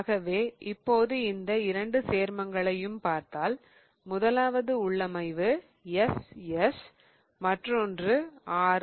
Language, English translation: Tamil, So, if I now look at the two compounds, the first one has configuration SS, the other one has configuration RR